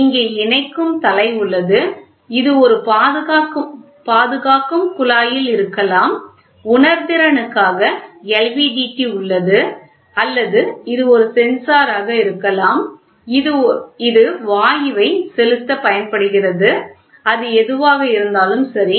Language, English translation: Tamil, So, here is a connecting head this can be this is at a protecting tube then sensing this can be an LVDT or this can be a sensor which is used for deducting gas, whatever it is, right